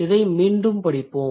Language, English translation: Tamil, So, let's read it again